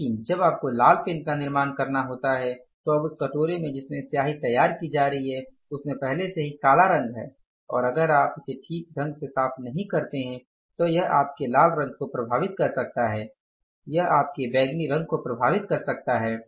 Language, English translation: Hindi, But when you have to manufacture the red pen, when you have to manufacture the red pen, now that bowl where the ink is being prepared that already has the black color in it and if you don't clean it properly then it can affect your red color, it can affect your purple color